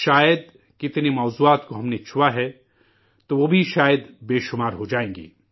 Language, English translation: Urdu, Perhaps, the sheer number of topics that we touched upon would turn out to be countless